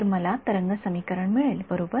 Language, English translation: Marathi, So, I get a wave equation right